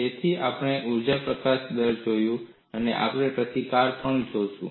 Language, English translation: Gujarati, So, we have seen the energy release rate and you will also look at the resistance